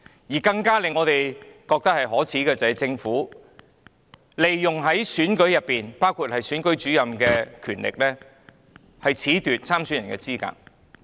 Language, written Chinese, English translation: Cantonese, 我們認為更可耻的是，政府利用選舉制度，包括選舉主任的權力，褫奪參選人的資格。, We find it even more shameful that the Government made use of the electoral system including the power of the Returning Officer to disqualify candidates